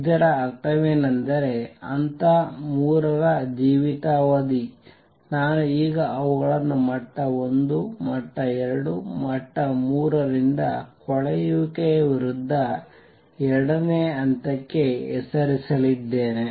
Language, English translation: Kannada, What that means is lifetime of level 3, I am going to name them now level 1, level 2, level 3 against decay to level 2 is very short